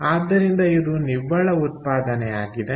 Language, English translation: Kannada, ok, so therefore, the net production is this